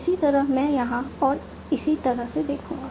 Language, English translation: Hindi, Similarly I will see here and so on